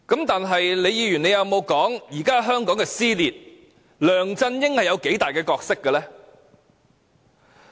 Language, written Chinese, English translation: Cantonese, 但李議員有沒有說，導致現時香港撕裂，梁振英有多大的角色呢？, But what Ms LEE has failed to mention is the role of LEUNG Chun - ying in provoking division in present - day Hong Kong